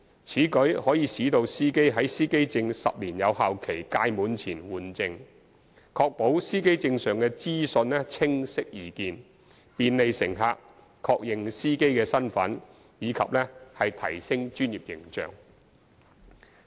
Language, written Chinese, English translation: Cantonese, 此舉可使司機在司機證10年有效期屆滿前換證，確保司機證上的資訊清晰易見，便利乘客確認司機身份及提升專業形象。, This will cause the drivers to renew the plates before the expiry of the 10 - year validity period to ensure that the information on the plates is clearly and easily visible so as to facilitate passengers easy identification of the drivers and enhance their professional image